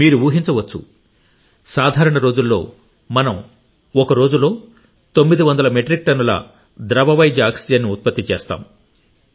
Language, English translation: Telugu, You can guess for yourself, in normal circumstances we used to produce 900 Metric Tonnes of liquid medical oxygen in a day